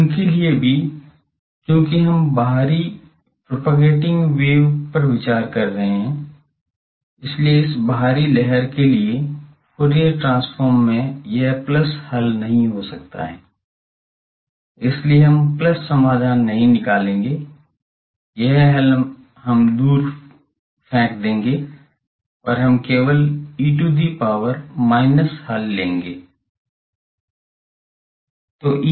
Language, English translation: Hindi, Now for them also, since we are considering on the outwardly propagating wave, so the Fourier transform of an outward wave that cannot have this plus solution, so we will not take the plus solution, this solution we will throw away and we will take only the E to the power minus solution